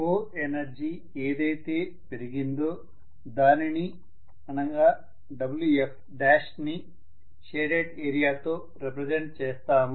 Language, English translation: Telugu, Whatever was the increase that happened in the co energy which is Wf dash that is represented by the shaded area